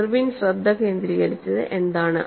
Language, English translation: Malayalam, What was the focus by Irwin